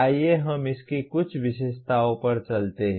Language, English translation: Hindi, Let us move on to some features of this